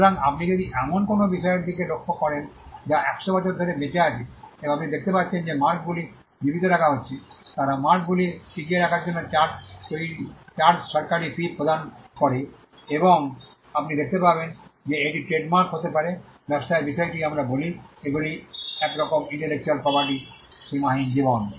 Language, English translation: Bengali, So, but if you look at a business that is survived for 100 years and you would actually see that the marks are being kept alive, they paid the charges official fees for keeping the marks alive and you will find that it can be the trademarks in business parlance we say these are kind of unlimited life intellectual property